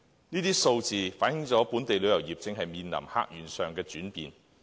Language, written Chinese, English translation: Cantonese, 這些數字反映本地旅遊業正面臨客源上的轉變。, These figures show the changing visitor source of the local tourism industry